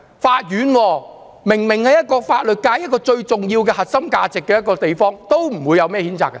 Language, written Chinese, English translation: Cantonese, 法院明明是法律界一個最重要的地方，象徵其核心價值，他們都不出來譴責。, The court is obviously the most importance place to the legal sector as it symbolizes its core values but they did not condemn such acts